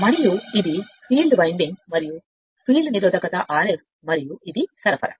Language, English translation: Telugu, And this is your field running and field resistance R f and this is the supply right